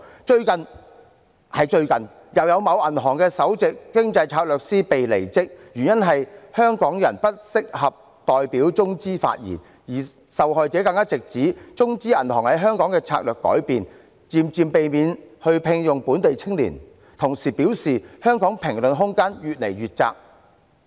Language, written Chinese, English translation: Cantonese, 最近——就是最近——又有某銀行的首席經濟策略師"被離職"，原因是香港人不適合代表中資發言，而受害者更直指中資銀行在香港的策略改變，漸漸避免聘用本地青年，同時表示香港的評論空間越來越窄。, Just recently the Chief Economist and Strategist of a bank has been resigned as it was inappropriate for a Hongkonger to speak on behalf of the Chinese bank . The victim pointed out that the Chinese bank has changed its strategy in Hong Kong in that it will gradually stop recruiting local youths and the room for comments in Hong Kong will become increasingly narrow